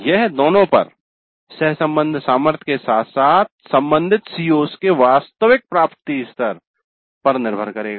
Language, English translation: Hindi, That would depend both on the correlation strength as well as the actual attainment level of the related COs